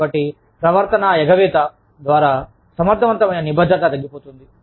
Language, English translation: Telugu, So, behavioral avoidance, such as reduced, effective commitment